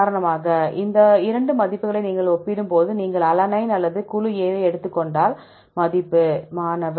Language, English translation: Tamil, And when you compare these 2 values for example, if you take alanine or the group A if the value is